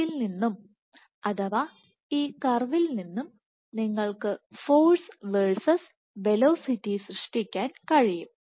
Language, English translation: Malayalam, So, from here you can generate you can convert this curve into force versus velocity